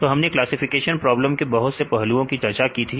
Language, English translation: Hindi, So, we discussed various aspects in the classification problems